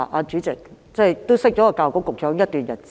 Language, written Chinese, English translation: Cantonese, 主席，我認識教育局局長已有一段日子。, Chairman I have known the Secretary for Education for some time